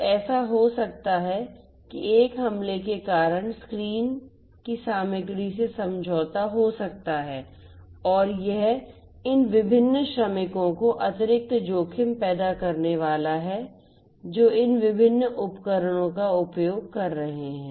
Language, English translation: Hindi, So, it might so happen that the content of the screen due to an attack might get compromised and that is going to pose you know additional risks to these different workers who would be using these different devices